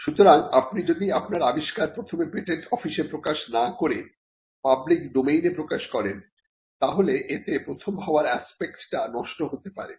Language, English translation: Bengali, So, if you make any disclosure into the public domain, without first disclosing to the patent office then it can kill the first aspect